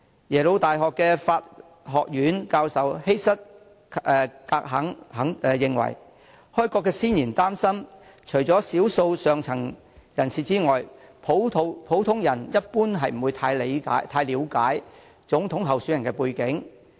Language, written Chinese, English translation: Cantonese, 耶魯大學法學院教授希瑟.格肯認為，開國先賢擔心，除少數上層人士外，普通人一般不太了解總統候選人的背景。, According to Prof Heather GERKEN Professor of Law Yale University the founding fathers of America were concerned that except for a minor portion of people from the upper class there was a lack of general understanding about the background of the presidential candidates at that time